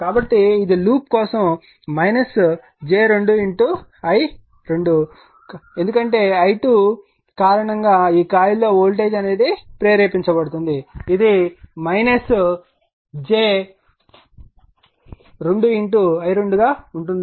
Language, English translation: Telugu, So, it will be for this loop it will be minus j 2 into your i 2 right, because in this coil voltage induced due to i 2, it will be minus j 2 into i 2 that is 10 angle 0 right